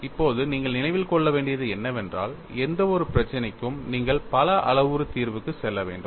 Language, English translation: Tamil, Now, what we will have to keep in mind is, for any problem, you will have to go in for multi parameter solution